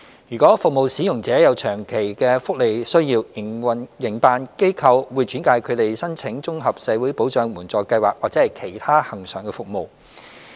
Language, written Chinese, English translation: Cantonese, 如服務使用者有長期福利需要，營辦機構會轉介他們申請綜合社會保障援助計劃或其他恆常服務。, Operators will refer the service users in need to the Comprehensive Social Security Assistance Scheme or other mainstream services to address their long - term welfare needs